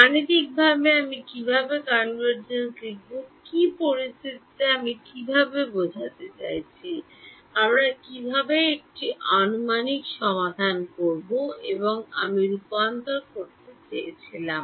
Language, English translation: Bengali, Mathematically how will I write convergence under what conditions I mean how will I have an approximate solution and I wanted to convergence